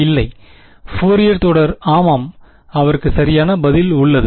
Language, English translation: Tamil, No, Fourier series yeah he has write answer